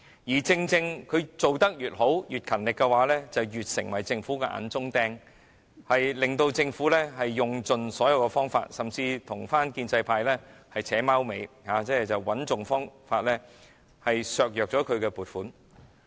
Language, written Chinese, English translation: Cantonese, 然而，正正是港台做得越好、越勤力，它便越成為政府的眼中釘，以致政府須用盡所有方法，甚至是與建制派"扯貓尾"，設法削減港台的撥款。, However the better a job RTHK is doing and the harder it works the more it becomes a thorn in the Governments side so the Government has resorted to all available means and even colludes with the pro - establishment camp to reduce the funding for RTHK